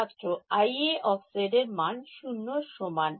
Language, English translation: Bengali, I A of z equal to 0